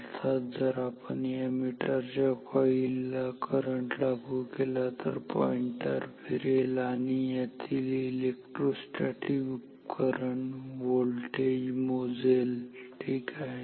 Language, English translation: Marathi, In a sense that if we apply a current across the coils of these meters the pointer is deflected and electrostatic instrument this measures voltage ok